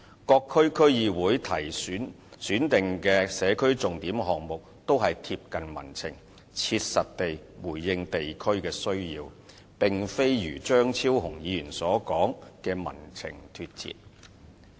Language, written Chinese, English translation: Cantonese, 各區區議會選定的社區重點項目都貼近民情，切實地回應地區的需要，並非如張超雄議員所說的"與民情脫節"。, The SPS projects selected by DCs in various districts are responsive to peoples sentiments practically addressing district needs instead of being out of tune with public sentiments as opined by Dr Fernando CHEUNG